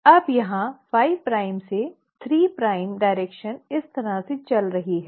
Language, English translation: Hindi, Now here the 5 prime to 3 prime direction is going this way